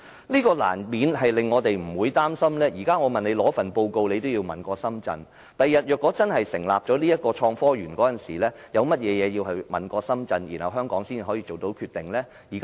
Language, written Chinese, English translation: Cantonese, 這樣難免令我們擔心，現時我要求拿取報告，政府也要請示深圳，日後如果真的成立創科園，香港一方還有甚麼要先請示深圳一方才能做決定的呢？, We are worried that in the future when the Innovation and Technology Park really gets the go - ahead the SAR Government may need to seek prior instructions from the Shenzhen Municipal Government before any decision concerning the Park can be made given that now we already need to ask for instructions from the Shenzhen side on matters as simple as viewing the study report